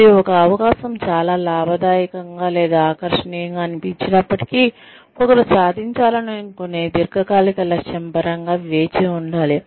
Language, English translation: Telugu, And, even if an opportunity seems, very lucrative or very appealing, one should wait, in terms of the long term goal, that one wants to achieve